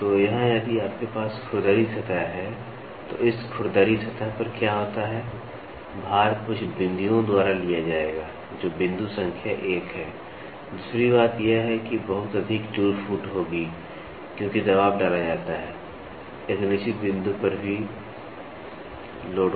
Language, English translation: Hindi, So, here if you have rough surface then, this rough surface what happens, the load will be taken by few points that is point number one, second thing is there will be lot of wear and tear because, the pressure is exerted on the load also at a certain point